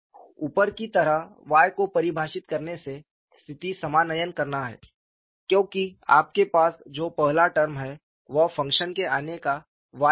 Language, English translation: Hindi, By defining Y as above, the condition reduces to because the first term what you have is y times the function comes